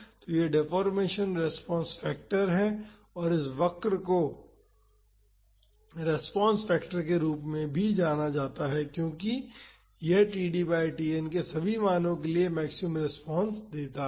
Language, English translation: Hindi, So, this is the deformation response factor and this curve is also known as response factor, because this gives the maximum response for all the values of td by Tn